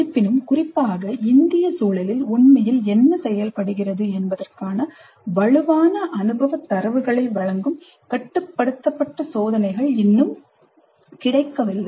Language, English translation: Tamil, Still, controlled experiments giving us strong empirical data on what really works particularly in Indian context is not at available